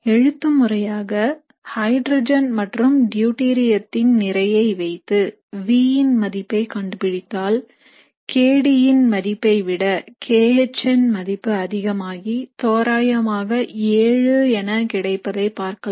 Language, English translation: Tamil, Theoretically, if you put in the values of the masses of hydrogen and deuterium and determine the v for each of these, what you would figure out is that the maximum kH over kD value is approximately 7